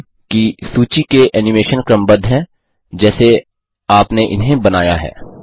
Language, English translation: Hindi, Observe that the animation in the list are in the order in which you created them